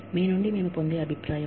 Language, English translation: Telugu, The feedback, that we get from you